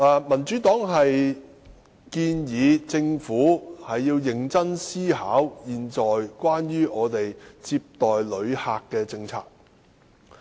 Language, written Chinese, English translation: Cantonese, 民主黨建議政府認真思考現時接待旅客的政策。, The Democratic Party proposes that the Government should thoroughly consider the existing policies on receiving tourists